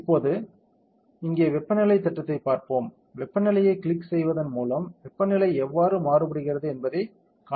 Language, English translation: Tamil, Now, let us see the temperature plot here, click temperature you can see how temperature is varying